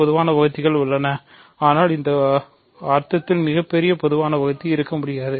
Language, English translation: Tamil, There are common divisors, but there cannot be a greatest common divisor in this sense